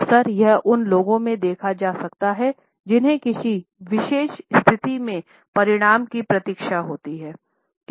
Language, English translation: Hindi, It can often be observed in those people who have to tensely await the outcome of a particular situation